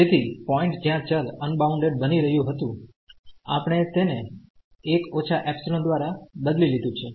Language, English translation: Gujarati, So, the point where the function was becoming unbounded we have replaced by 1 minus epsilon